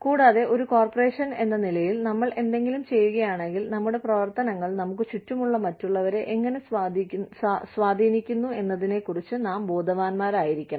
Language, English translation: Malayalam, And, we, if as a corporation, we are doing something, we need to be aware of, how our actions are impacting others, around us